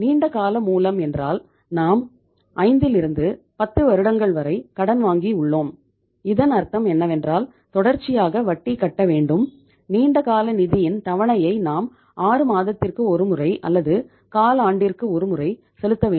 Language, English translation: Tamil, And in case of the long term source we have borrowed the money for 5 to 10 years so it means regularly we have to pay the interest and we have to send the installment of the long term finance maybe 6 monthly or maybe uh say quarterly